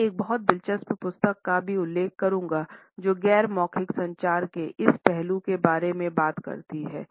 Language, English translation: Hindi, I would also refer to a very interesting book which talks about this aspect of non verbal communication